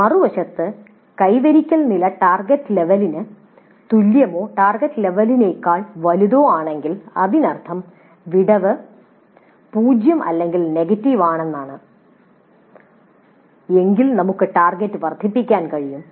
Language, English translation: Malayalam, On the other hand, if the attainment level is equal to the target level or is greater than the target level, that means if the gap is zero or negative, we could enhance the target